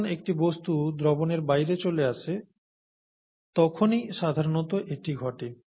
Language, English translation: Bengali, That’s typically what happens when a substance falls out of solution